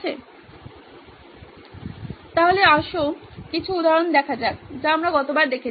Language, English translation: Bengali, So let’s look at some of the examples we looked at last time